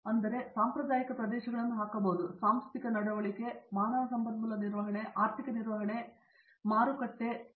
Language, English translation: Kannada, So, you can put the traditional areas, one into organizational behavior, human resources management, the next is financial management and third would be marketing